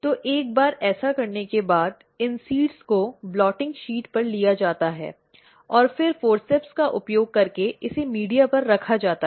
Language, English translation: Hindi, So, once it is done so, these seeds are taken on the blotting sheet and then using forceps it is placed on a media